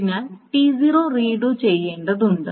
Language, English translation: Malayalam, So T0 needs to be redone